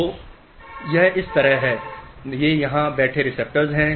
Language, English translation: Hindi, These are receptors sitting here